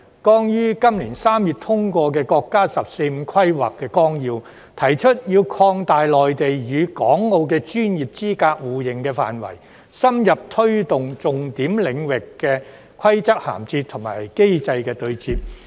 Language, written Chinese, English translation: Cantonese, 剛於今年3月通過的國家《十四五規劃綱要》提出要擴大內地與港澳的專業資格互認範圍，深入推動重點領域的規則銜接和機制的對接。, The National 14thFive - Year Plan which was just approved in March this year raises the need of expanding the scope of mutual recognition of professional qualifications amongst the Mainland Hong Kong and Macao and deepening the promotion of the connection of rules and also interface between mechanisms in some key areas